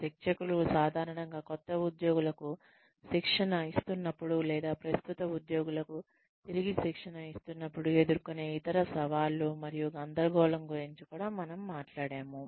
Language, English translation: Telugu, We talked about, other challenges and confusion, trainers usually face, when they are training new employees, or re training the current employees